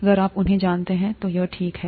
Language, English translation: Hindi, If you know them then it’s fine